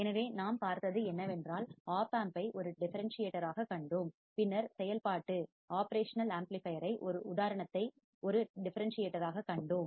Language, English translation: Tamil, So, what we have seen, we have seen the opamp as a differentiator, and then we have seen the example of operational amplifier as a differentiator all right